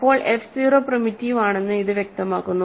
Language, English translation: Malayalam, So, we can, we can show that f 0 is primitive